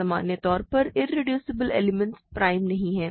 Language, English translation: Hindi, In general irreducible elements are not prime